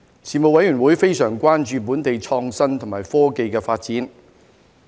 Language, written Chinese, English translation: Cantonese, 事務委員會非常關注本地創新及科技的發展。, The Panel was very concerned about the development of innovation and technology in Hong Kong